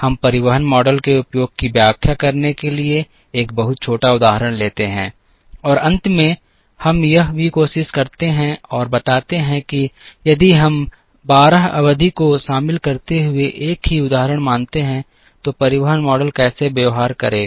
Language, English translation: Hindi, We take a much smaller example, to illustrate the use of the transportation model, and towards the end we also try and show how the transportation model would behave, if we considered the same example involving 12 periods